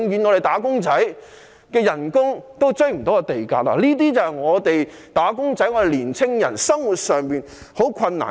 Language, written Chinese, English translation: Cantonese, 那麼，"打工仔"的工資永遠追不上地價，這些便是"打工仔"、年輕人生活上面對的困難。, If so the salaries of wage earners will never be able to catch up with land prices . This is the difficulty faced by wage earners and young people in their daily lives